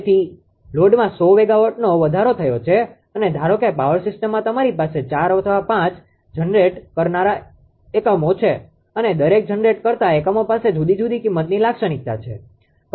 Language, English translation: Gujarati, So, there is 100 megawatt increase of the load and suppose in the power system you have 4 or 5 generating units right and each generator in generating units they have different cost characteristic